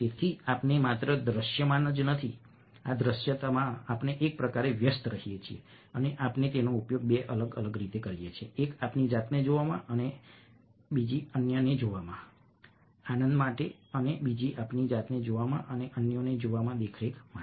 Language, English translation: Gujarati, so how we are not only visible, ah, we kind of ex indulge in this visibility and we we use it in two different ways: one for pleasure in visualizing ourselves and visualizing others, and other one is for surveillance, in watching ourselves and in watching others